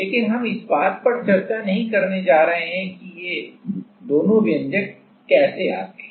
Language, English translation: Hindi, But we are not going to discuss that how these two expressions come